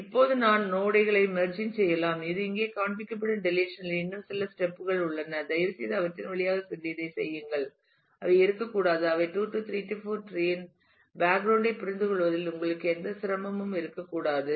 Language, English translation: Tamil, Now I will have merging of nodes which will start happening there are some more steps in the deletion shown here, please go through them and work this out they should not be you should not have any difficulty in understanding them given your background in the 2 3 4 tree